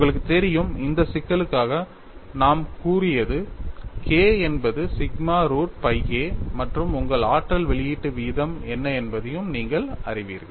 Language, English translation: Tamil, You know, we have said for this problem K is sigma root by a and you also know what is your energy release rate